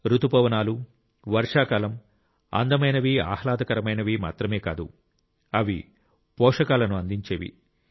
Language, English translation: Telugu, Indeed, the monsoon and rainy season is not only beautiful and pleasant, but it is also nurturing, lifegiving